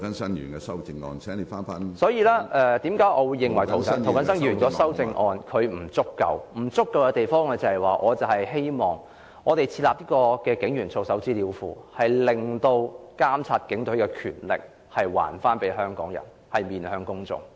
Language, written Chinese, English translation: Cantonese, 所以，我認為涂謹申議員的修正案有不足之處。我希望設立警員操守資料庫，把監察警隊的權力交還給香港人，讓警隊面對公眾。, Therefore in my view the amendment of Mr James TO is deficient and I hope that an information database on the conduct of police officers will be set up so as to give Hong Kong people the power to monitor the Police and hold the Police accountable to the public